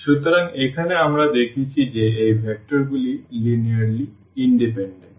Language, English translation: Bengali, So, here we have seen that these vectors are linearly independent